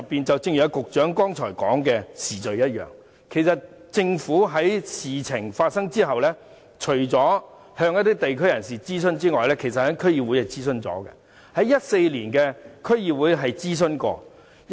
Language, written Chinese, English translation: Cantonese, 正如局長剛才所說，政府在事情發生後，除了向地區人士進行諮詢外，在2014年的區議會也曾進行諮詢。, As the Secretary said a while ago after the incident the Government consulted the District Council in 2014 apart from consulting local representatives